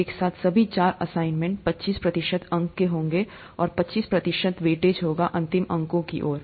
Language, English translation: Hindi, All the four assignments together would carry twenty five percent marks, twenty five percent weightage toward the final marks